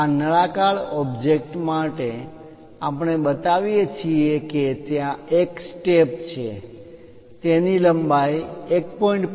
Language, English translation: Gujarati, For these cylindrical objects what we are showing is there is a step, for that there is a length of 1